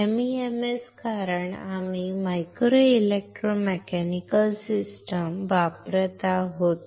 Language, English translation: Marathi, MEMS because we are using micro electro mechanical systems